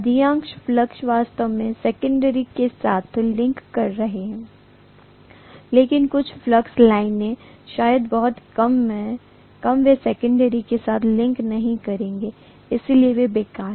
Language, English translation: Hindi, Most of the flux actually links with the secondary but some of the flux lines, maybe very few, they will not link with the secondary, so those are useless